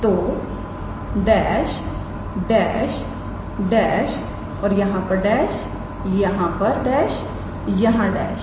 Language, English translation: Hindi, So, dash dash dash and dash here dash here dash